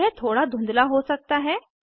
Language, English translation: Hindi, It may possibly be a little blurred